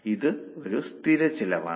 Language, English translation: Malayalam, That is a total cost